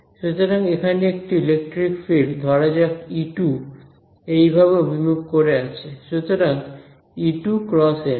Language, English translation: Bengali, So, let us take a electric field over here let us say, like let us say E 2 is pointing like this right